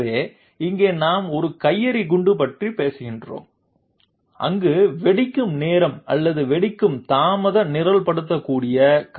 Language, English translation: Tamil, So here we are talking about a grenade where the detonation time or the donation delay is programmable